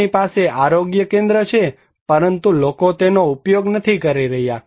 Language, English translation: Gujarati, They have health center but, people are not using that